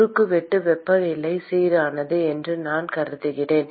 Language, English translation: Tamil, And I assume that cross section temperature is uniform